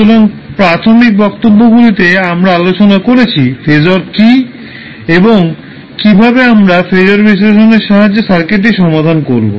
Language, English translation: Bengali, So, in the initial lectures we discussed what is phasor and how we will solve the circuit with the help of phasor analysis